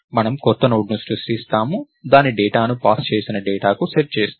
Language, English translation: Telugu, So, we create a new node, we set its data to the data that is passed